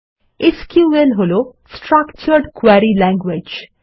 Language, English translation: Bengali, SQL stands for Structured Query Language